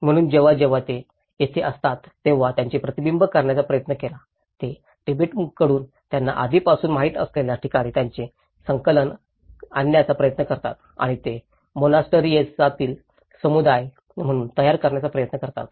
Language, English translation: Marathi, So, whenever they have been there so they try to reflect, they try to bring their attachments through the places what they already know from Tibet and they try to build as the monastic communities